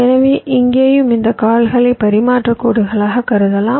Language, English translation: Tamil, so it will be something like this: these legs can be treated as transmission lines